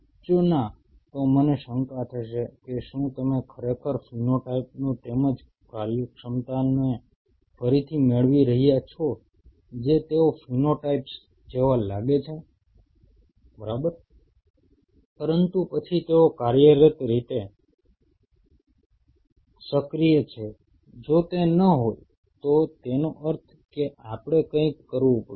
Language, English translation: Gujarati, If they are not then I will have doubt that are you really regaining the phenotype as well as a functionality they look like great like phenotypes sure, but then are they functionally active if they are not it means we have to do something